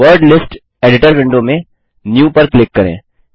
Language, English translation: Hindi, In the Word List Editor window, click NEW